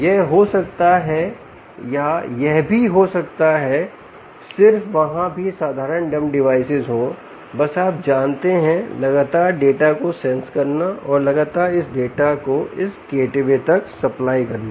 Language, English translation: Hindi, it could be that, or it could be just there also, simple dumb devices, just you know, constantly sensing data and giving it to this, supplying this data constantly to this gateway, ok, so